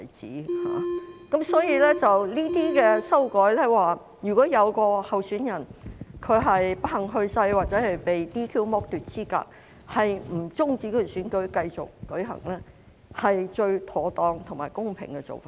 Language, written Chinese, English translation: Cantonese, 這項修正案訂明，如有候選人不幸去世或被 "DQ" 剝奪資格，也不用終止選舉，選舉可以繼續舉行，是最妥當和公平的做法。, This amendment provides that if a candidate has unfortunately passed away or is disqualified the election does not have to be terminated . The election can proceed . It is the most proper and fairest approach